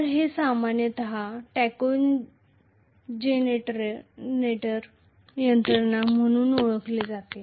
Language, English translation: Marathi, So this is generally known as tachogenerator mechanism